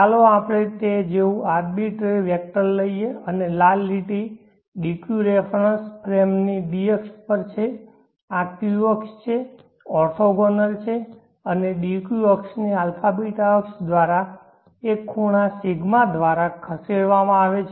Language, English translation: Gujarati, And this red line is the D axis of the DQ reference frame this is the Q axis orthogonal and the DQ axis is shifted from the abeeta axis by an angle